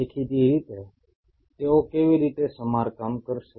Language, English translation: Gujarati, Obviously how they will repair